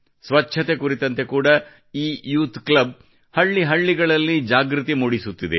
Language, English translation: Kannada, This youth club is also spreading awareness in every village regarding cleanliness